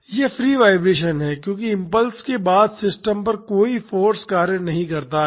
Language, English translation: Hindi, It is free vibration because after the impulse there is no force acting on the system